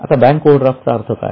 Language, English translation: Marathi, Now, what is the meaning of bank overdraft